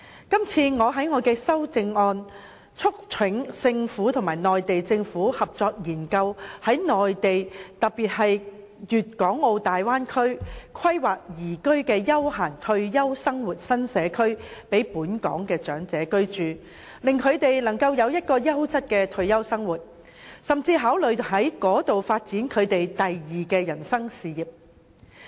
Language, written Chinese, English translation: Cantonese, 我在所提出的修正案中促請政府與內地政府合作研究在內地特別是粵港澳大灣區，規劃宜居的休閒退休生活新社區，以供本港的長者居住，令他們能夠擁有優質的退休生活，甚至考慮在那裏發展人生的第二事業。, In my proposed amendment I urge the Government to cooperate with the Mainland Government to conduct a study on planning for elderly persons in Hong Kong livable new development areas that can facilitate leisurely retirement life on the Mainland especially in the Guangdong - Hong Kong - Macao Bay Area so that they may enjoy quality retirement life and even consider developing their second career in life there